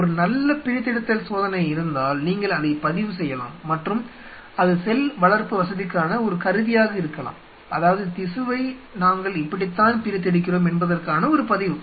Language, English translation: Tamil, There is a good dissection you can record it and that could be a tool for cell culture facility, that you know this is how we isolate the tissue